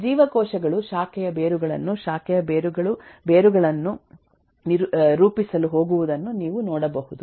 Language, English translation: Kannada, you can eh see that eh cells form branch roots, branch roots eh going to forming roots and so on